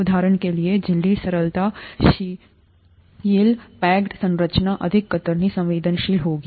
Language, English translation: Hindi, For example, ‘membrane fluidity’; loosely packed structure will be more shear sensitive